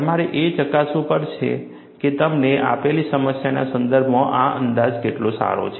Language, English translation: Gujarati, We will have to verify, how good this approximation is valid, in the context of your given problem